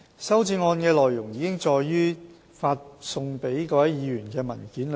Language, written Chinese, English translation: Cantonese, 修正案的內容已載於發送給各位議員的文件中。, The amendments are set out in the paper circularized to Members